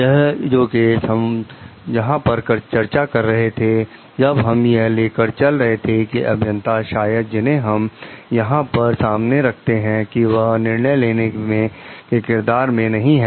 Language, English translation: Hindi, These cases we were discussing when we were considering like the engineer like maybe whom we are considering over here is not in a decision making role